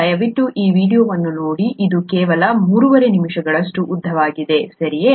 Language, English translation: Kannada, Please see that video, it’s only about 3and a half minutes long, okay